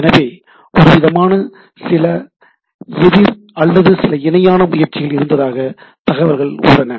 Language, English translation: Tamil, So, some sort of a, there are there are reports that there is a some counter or some parallel efforts was there